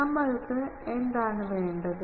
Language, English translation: Malayalam, What we require